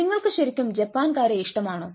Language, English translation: Malayalam, do you really like japanese